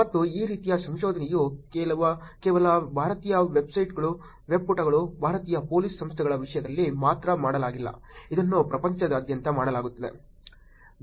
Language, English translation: Kannada, And these kind of research is not only done in terms of just Indian webpages, Indian Police Organizations, this is done all across the world